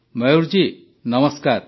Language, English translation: Odia, Mayur ji Namaste